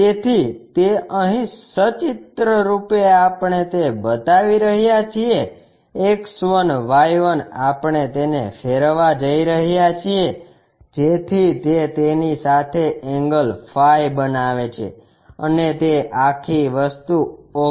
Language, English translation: Gujarati, So, that pictorially here we are showing X1Y1 we are going to rotate it, so that it makes an angle phi angle with that and that entire thing is AVP plane and this view is auxiliary front view